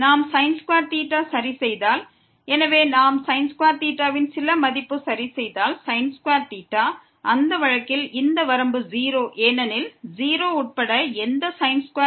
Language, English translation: Tamil, Indeed, if we fix theta; so if we fix some value of theta, in that case this limit is 0 because, whatever theta including 0 also when theta is 0